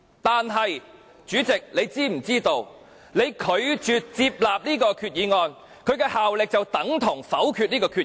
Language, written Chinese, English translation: Cantonese, 但是，主席，你是否知道，你拒絕接納這項決議案，效力便等同否決這項決議案。, However President do you know that by ruling this amendment inadmissible you have effectively voted down this amendment?